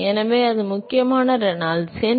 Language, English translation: Tamil, So, that is the critical Reynolds number